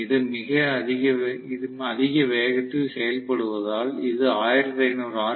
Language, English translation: Tamil, Because it is working at a very high speed, it is working 1500 rpm